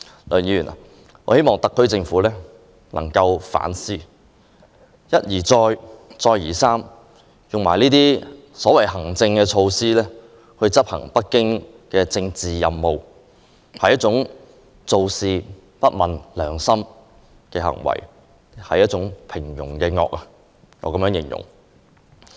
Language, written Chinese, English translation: Cantonese, 我希望特區政府能夠反思，他們一而再、再而三地利用行政措施執行北京的政治任務，其實是做事不問良心，我會將這種行為形容為一種平庸的惡。, I urge the SAR Government to reflect on what it has done . It has resorted to administrative means time and again to carry out the political missions from Beijing . I would describe this unconscionable action as an evil of banality